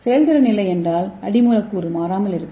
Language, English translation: Tamil, If there is no effector or no substrate then the substrate remains unchanged